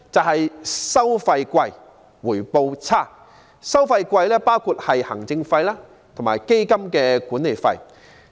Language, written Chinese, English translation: Cantonese, 昂貴的收費包括行政費及基金的管理費。, High fees include administrative fees and management fees